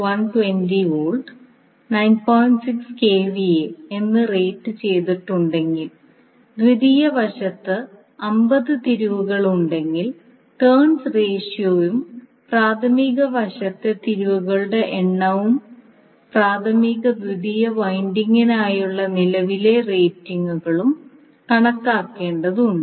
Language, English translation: Malayalam, 6 kVA has 50 turns on the secondary side, we need to calculate the turns ratio and the number of turns on the primary side and current ratings for primary and secondary windings